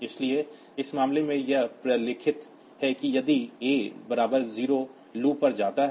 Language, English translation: Hindi, So, in this case it is documented also that way that if a equal to 0 go to loop